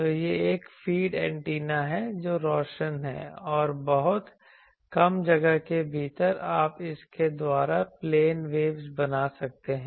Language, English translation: Hindi, So, this is a feed antenna which is illuminating and within a very short space you can create plane waves by this